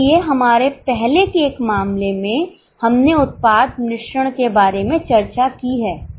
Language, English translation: Hindi, So, in one of the earlier cases we are discussed about product mix